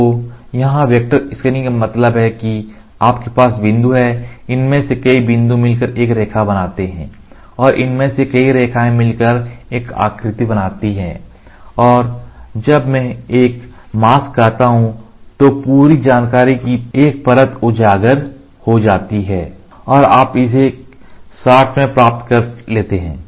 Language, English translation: Hindi, So, here vector scanning means you have a point several of these points join together to form a line and several of these lines join to form a figure, whatever it is right and when I say a mask one layer of entire information is exposed and you get it in one shot